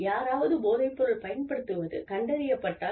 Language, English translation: Tamil, If somebody has been found, to be using drugs